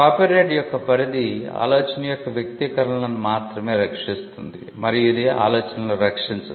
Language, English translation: Telugu, The scope of the copyright protects only expressions of idea and it does not protect the ideas themselves